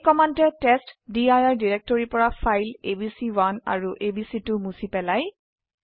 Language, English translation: Assamese, The testdir directory contains two files abc2 and abc1